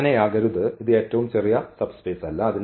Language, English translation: Malayalam, So, it cannot be that this is not the smallest subspace